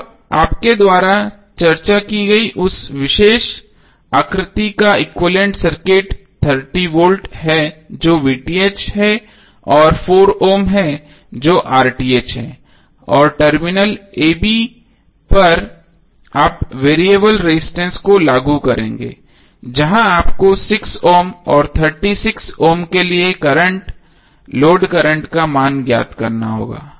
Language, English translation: Hindi, Now your equivalent circuit of the particular figure which we discussed is 30V that VTh and 4 ohm that is RTh and across the terminal a b you will apply variable resistance where you have to find out the value of current, load current for 6 ohm and 36 ohm